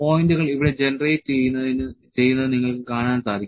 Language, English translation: Malayalam, You can see the points are being generated here